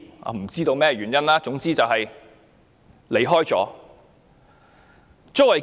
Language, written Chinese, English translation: Cantonese, 我不知道箇中原因，總之有多人離世。, I do not know why but many people have died anyway